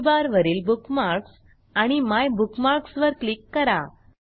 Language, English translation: Marathi, * From Menu bar, click on Bookmarks and MyBookmarks